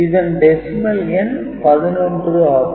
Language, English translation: Tamil, So, this indicates 11 in decimal